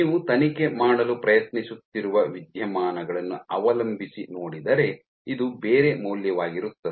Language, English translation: Kannada, So, depending on the phenomena that you are trying to probe this might be a different value